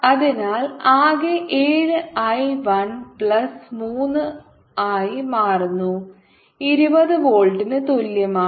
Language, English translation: Malayalam, i one plus i two, which is like ten: i one plus three, i two is equal to twenty volt